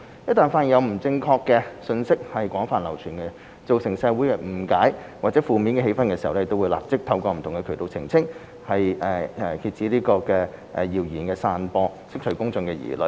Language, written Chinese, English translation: Cantonese, 一旦發現有不正確信息廣泛流傳，造成社會誤解或負面氣氛時，會立即透過不同渠道澄清，以遏止謠言散播，釋除公眾疑慮。, They have made prompt clarification by multiple channels once there is wide circulation of incorrect information which has led to misunderstanding or negative sentiment in the society with a view to curbing the spread of rumours and allaying public concerns